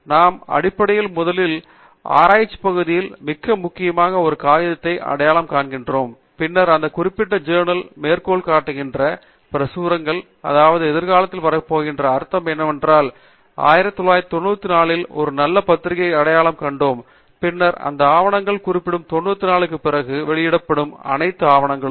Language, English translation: Tamil, We basically first identify a very important paper in our area of research, and then, we will see what all those publications that are citing this particular paper, which means that they are going to come in the future, in the sense, let us say we have identified a very good paper in 1994, then all those papers that are published after ‘94, which are referring to this particular paper